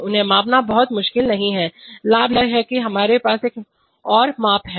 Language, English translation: Hindi, They are not very difficult to measure, the advantage is that now we have another measurement